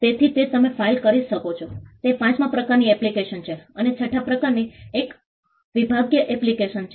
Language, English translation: Gujarati, So, that’s the fifth type of application you can file, and the sixth type is a divisional application